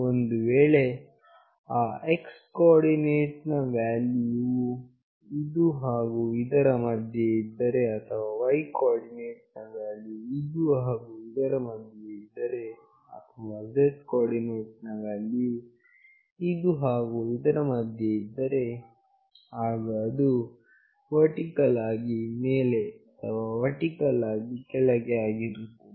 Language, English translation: Kannada, If that x coordinate value is in between this and this or the y coordinate value is in between this and this or to z coordinate value is in between this and this, then it is vertically up or vertically down